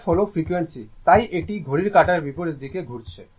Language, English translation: Bengali, F is the frequency so; it is rotating in the anticlockwise direction